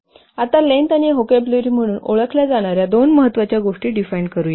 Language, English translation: Marathi, Now let's define two other things, important things called as length and vocabulary